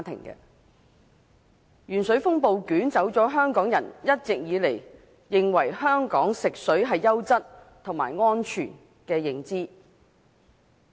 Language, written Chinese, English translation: Cantonese, 鉛水風暴捲走了香港人一直以來認為香港食水是優質和安全的認知。, The storm sweeps away Hong Kong peoples confidence in the quality and safety of our drinking water